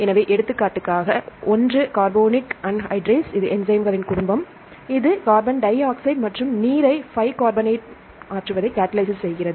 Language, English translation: Tamil, So, I have one example one is the carbonic anhydrase, this is a family of enzymes, this catalyzes the interconversion of carbon dioxide and water to bicarbonate